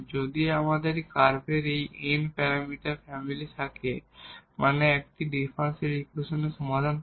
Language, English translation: Bengali, So, the general solution is nothing, but the n parameter family of curves which satisfies the given differential equation